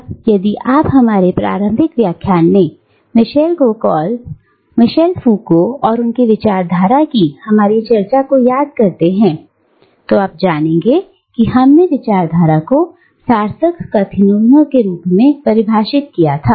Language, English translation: Hindi, Now, if you recall our discussion of Michel Foucault and discourse, in one of our early lectures, you will know that we had defined discourse as meaningful utterances